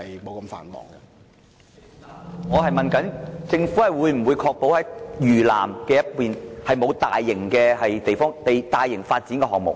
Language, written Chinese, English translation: Cantonese, 主席，我是問政府會否確保不會在嶼南進行大型發展項目。, President I asked the Government whether it would ensure that no large - scale development projects would be undertaken in South Lantau